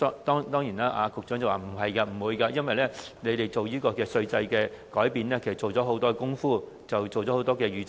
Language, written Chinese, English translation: Cantonese, 當然，局長表示不會出現這情況，因為政府提出這項稅制改變前，已做了很多工夫和預測。, The Government surely says that this will not happen explaining that it has done a lot of preparation and forecast before proposing this change in the tax regime